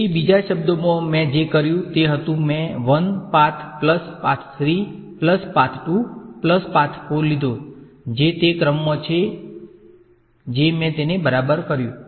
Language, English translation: Gujarati, So, in other words what I did was I took path 1 plus path 3 plus path 2 plus path 4 that is the order in which I did it ok